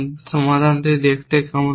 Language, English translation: Bengali, What will be the solution look like